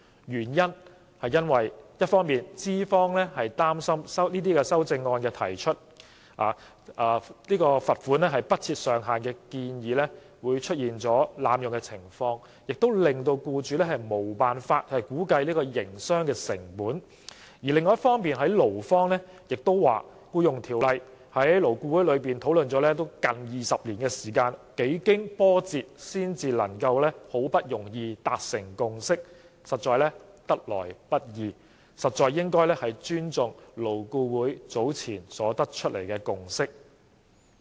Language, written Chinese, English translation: Cantonese, 一方面資方擔心修正案提出額外款項不設上限的建議會出現被濫用的情況，令僱主無法估計營商成本；另一方面，勞方代表亦表示，《僱傭條例》在勞顧會討論了近20年，幾經波折才能夠達成共識，得來不易，實應尊重勞顧會早前得出的共識。, On the one hand the employers worried that the proposal of removing the ceiling of the further might be abused such that employers would not be able to estimate the business costs; on the other hand the employee representatives also stated that the Ordinance had been discussed by LAB for almost 20 years and a consensus was only reached after many twists and turns . Such a hard - won consensus should be respected